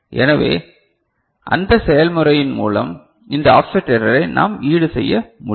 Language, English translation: Tamil, So, by that process, we can compensate this offset error ok